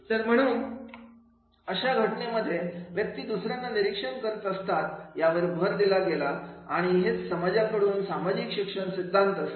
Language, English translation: Marathi, So therefore in that case these emphasize the people by observing the others and this will be the social learning theory but from the society